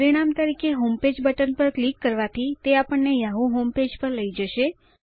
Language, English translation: Gujarati, As a result, clicking on the homepage button brings us to the yahoo homepage